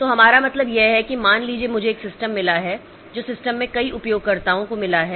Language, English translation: Hindi, So, what we mean is that suppose I have got a system that has got multiple users in the system